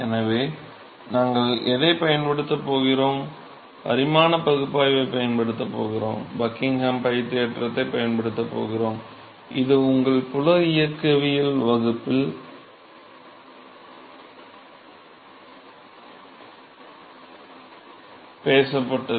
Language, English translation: Tamil, So, what we are going to use we are going to use the dimension analysis, going to use the Buckingham pi theorem, which has been talked in your field mechanics class